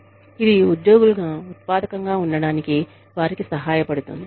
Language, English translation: Telugu, And, that helps them stay productive, as employees